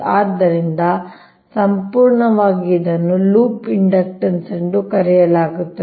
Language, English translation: Kannada, so totally, this is called loop inductance right